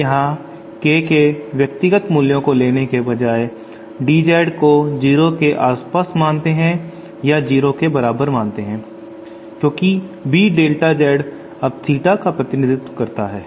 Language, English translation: Hindi, Now here instead of taking this as a individual values of K the limit the delta Z becomes equal to 0 or approaches 0, because this B delta Z now represents our theta